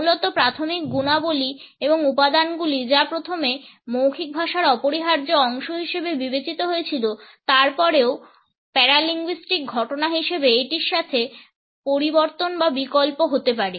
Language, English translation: Bengali, Basically primary qualities and elements that while being first considered as indispensable constitutes of verbal language may also modified or alternate with it as paralinguistic phenomena